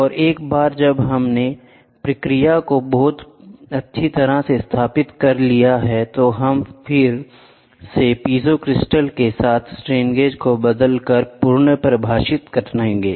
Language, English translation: Hindi, And once we have established the process very well, we will now then redefined changing the strain gauges with the piezo crystal